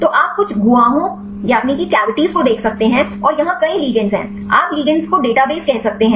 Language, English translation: Hindi, So, you can see the some cavities and here there are many ligands; you can say database of ligands